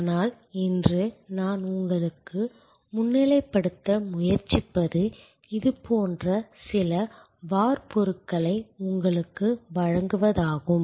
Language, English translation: Tamil, But, today what I am trying to highlight to you is to provide you with some templates like this one